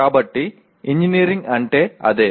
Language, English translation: Telugu, So that is what engineering is